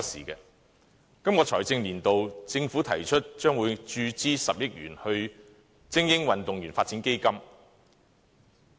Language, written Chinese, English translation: Cantonese, 政府在本財政年度提出，將注資10億元予精英運動員發展基金。, The Government proposes in the current financial year injecting 1 billion into the Elite Athletes Development Fund the Fund